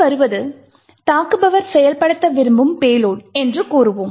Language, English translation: Tamil, Let us say that the payload that the attacker wants to execute is as follows